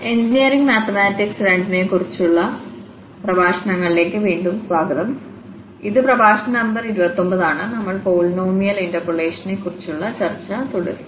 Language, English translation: Malayalam, So, welcome back to lectures on engineering mathematics two and this is lecture number 29 and we will continue our discussion on polynomial interpolation